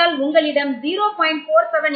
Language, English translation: Tamil, So you have a value of 0